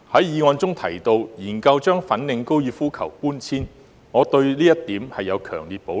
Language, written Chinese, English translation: Cantonese, 議案建議研究把粉嶺高爾夫球場搬遷，我對這一點有強烈的保留。, The motion proposes to conduct studies on the relocation of the Fanling Golf Course which I have strong reservation about